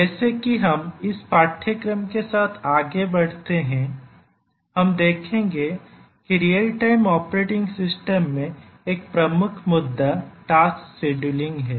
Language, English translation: Hindi, Actually as we proceed with this course we will see that one of the major issues in real time operating system is tasks scheduling